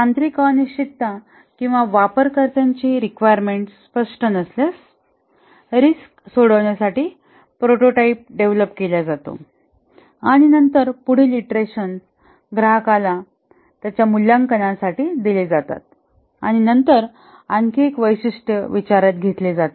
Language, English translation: Marathi, And then if there are any uncertainties, technical uncertainties or the user requirements are not clear, a prototype is developed to resolve the risk and then the next iteration is developed given to the customer for his evaluation and then another feature is taken up